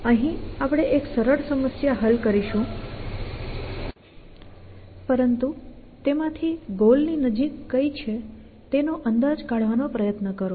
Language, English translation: Gujarati, And here we us trying to say that we will solve a simpler problem, but try to estimate which of them is closer to the goal